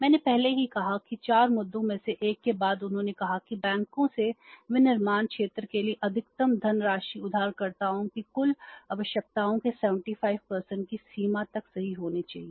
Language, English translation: Hindi, I already said that one of the important out of the four issues they said that maximum funding from the banks to the manufacturing sector should be up to the extent of 75% of the borrowers total requirements